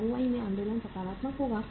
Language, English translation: Hindi, The movement in the ROI will be positive